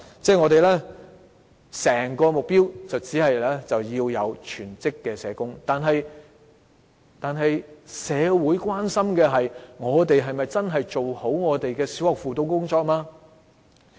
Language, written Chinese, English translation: Cantonese, 政府的目標是要有全職的社工，但社會關心的是，我們是否真的做好了小學的輔導工作。, The Governments goal is to have a full - time social worker . But peoples concern is whether the guidance work can been properly taken forward